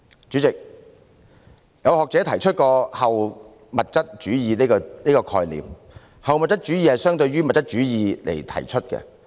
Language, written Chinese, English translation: Cantonese, 主席，曾經有學者提出後物質主義的概念，這是相對於物質主義而提出的。, President an academic once put forward the concept of post - materialism which is relative to materialism